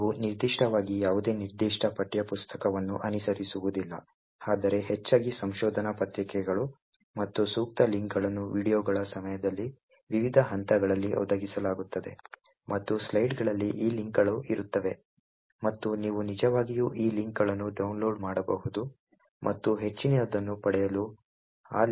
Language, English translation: Kannada, in particular, but mostly research papers and appropriate links would be provided at various stages during the videos and these links would be present in the slides and you could actually download these links and read those links to get more details about the concepts